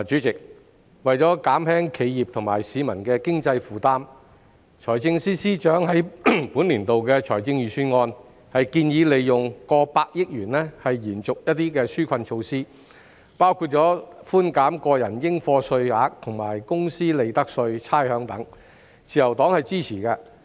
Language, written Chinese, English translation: Cantonese, 代理主席，為減輕企業和市民的經濟負擔，財政司司長在本年度的財政預算案建議利用過百億元延續一些紓困措施，包括寬減個人應課稅額、公司利得稅及差餉等，自由黨是支持的。, Deputy President in order to ease the financial burden of enterprises and members of the public the Financial Secretary FS has in this years Budget proposed to allocate over tens of billions of dollars for continued implementation of some relief measures including reducing personal taxes and corporate profits tax as well as providing rates concession . The Liberal Party is supportive of this proposal